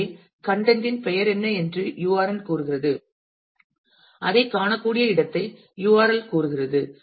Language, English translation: Tamil, So, URN says what is the name of the content and URL says where that can be found